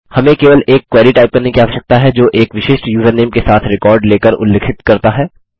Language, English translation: Hindi, We need to just type a query that specifies taking a record with a particular username